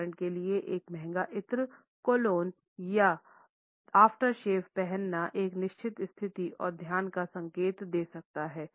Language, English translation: Hindi, For example, wearing an expensive perfume, cologne or aftershave can signal a certain status and wealth